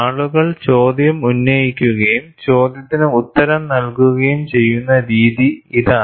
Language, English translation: Malayalam, This is the way people raised the question and answered the question also